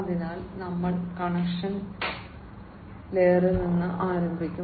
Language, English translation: Malayalam, So, we will start from the very bottom connection layer